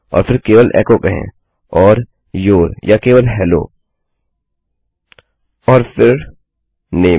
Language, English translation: Hindi, Then just say echo and Your or just Hello and then name